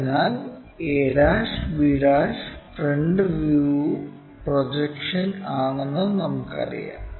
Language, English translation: Malayalam, So, we know a ' b ' is the front view projection